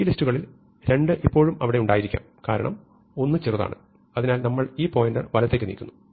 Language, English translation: Malayalam, But, which one should we leave, well 2 could still be there, because 1 is smaller, so we move this pointer right